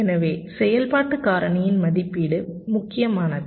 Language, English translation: Tamil, so the estimation of the activity factor